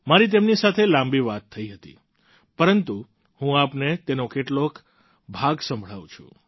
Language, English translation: Gujarati, I had a long chat with her, but I want you to listen to some parts of it